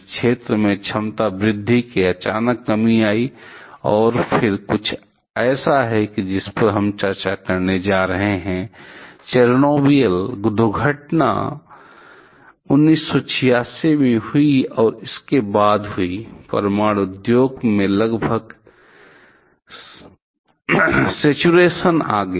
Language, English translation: Hindi, In this zone, there is sudden decrease in the capacity addition, and then something that we are going to discuss the Chernobyl accident happened in 1986 and following that; they are there is almost saturation in a nuclear industry